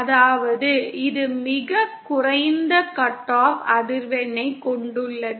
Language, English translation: Tamil, That is it has the lowest cut off frequency